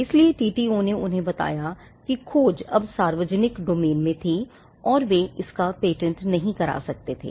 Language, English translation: Hindi, So, the TTO’s told them that the discovery was now in the public domain and they could not patent it